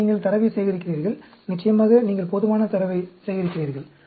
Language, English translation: Tamil, Then, you gather the data, of course; you collect enough data